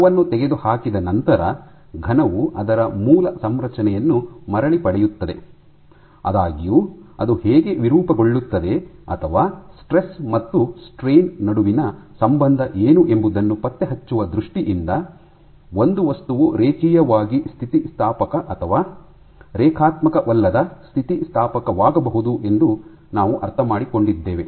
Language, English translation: Kannada, And once the force is removed the solid regains it is original undeformed configuration; however, in terms of tracking how it deforms or what is the relationship between the stress and the strain, we come about by saying a material can be linearly elastic or non linearly elastic